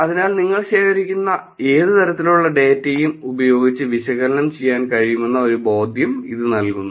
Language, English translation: Malayalam, So, this is gives you a sense of the analysis that you can do with any kind of data that you collect